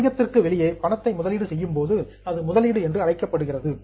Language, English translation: Tamil, So if you put in some money outside your business it is called as an investment